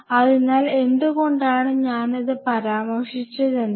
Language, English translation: Malayalam, So, coming back, why I mentioned this